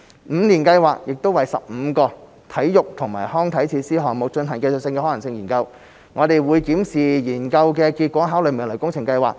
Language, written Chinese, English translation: Cantonese, 五年計劃亦為15個體育及康樂設施項目進行技術可行性研究，我們會檢視研究的結果，考慮未來的工程計劃。, Moreover technical feasibility studies are being conducted for 15 sports and recreational projects under the Five - Year Plan . We will review the results of these studies and consider the works projects in the future